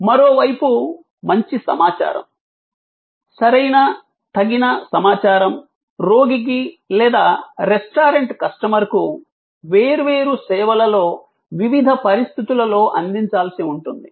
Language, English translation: Telugu, And on the other hand, good information, right appropriate information will have to be provided to the patient or to the restaurant customer in different services in different circumstances